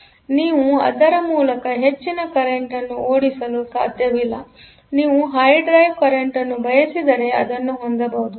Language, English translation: Kannada, So, you cannot drive a high current through that; so, if you want a high drive current